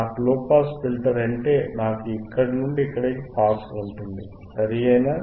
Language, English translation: Telugu, If I have a low pass filter means, I will have pass from here to here, correct